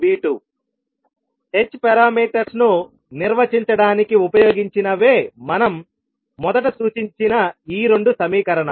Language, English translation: Telugu, So these two are the same equations which we represented initially to define the h parameters